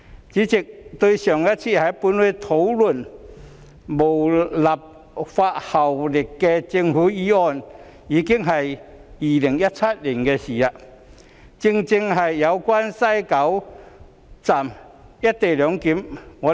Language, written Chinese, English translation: Cantonese, 主席，上次本會討論無立法效力的政府議案已是2017年，正正是有關在西九龍站實施"一地兩檢"安排。, President the last discussion on a government motion with no legislative effect in this Council was already held in 2017 and it was precisely about the implementation of co - location arrangement at West Kowloon Station